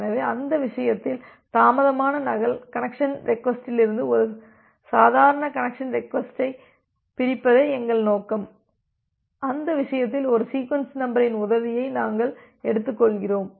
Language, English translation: Tamil, So, in that case our objective is to separate out a normal connection request from a delayed duplicate connection request and in that case we take the help of a sequence number